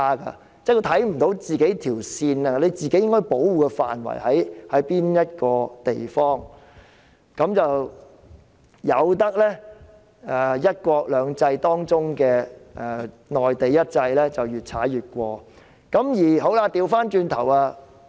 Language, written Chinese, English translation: Cantonese, 她看不到兩制間那條界線及自己應該保護的範圍在哪，任由"一國兩制"當中內地的"一制"越踩越近。, She has failed to locate the line dividing the two systems and the area that she should protect and allowed the one system of the Mainland to make further encroachment on our side